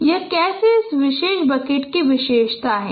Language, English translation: Hindi, So this is how a particular bucket is characterized